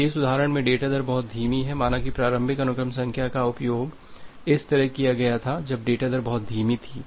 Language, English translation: Hindi, If the data rate is too slow like in this example say the initial sequence number was used like this then the data rate was too slow